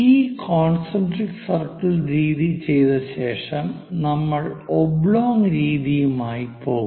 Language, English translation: Malayalam, After doing this concentric circle method, we will go with oblong method